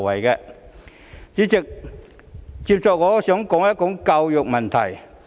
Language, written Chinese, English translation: Cantonese, 代理主席，接下來我想談談教育問題。, Deputy President next I wish to talk about education